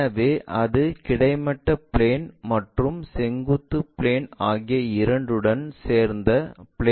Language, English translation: Tamil, So, that it becomes in plane with that of both horizontal plane and vertical plane